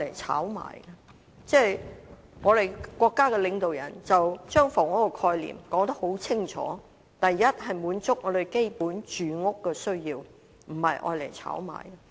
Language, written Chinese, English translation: Cantonese, 我們的國家領導人把房屋的概念說得很清楚，首先是要滿足基本的住屋需要，不是用作炒賣。, Our state leader has made very clear the concept of housing which is to satisfy the basic housing needs before all else not to be used for speculation